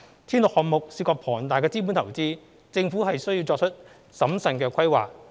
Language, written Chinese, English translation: Cantonese, 鐵路項目涉及龐大的資本投資，政府需作出審慎的規劃。, As railway projects involve huge capital investment the Government has to make prudent planning